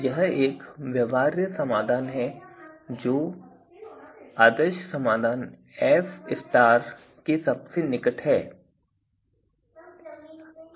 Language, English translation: Hindi, So, this is a feasible solution that is closest to the ideal solution F F asterisk